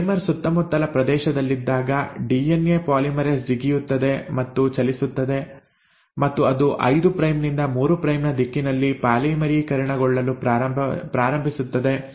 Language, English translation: Kannada, Once the primer is there in vicinity the DNA polymerase hops along and moves, and it started to polymerise in the direction of 5 prime to 3 prime